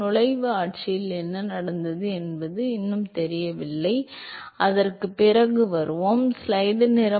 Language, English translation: Tamil, It is still do not know what happened in the entry regime we will come to that later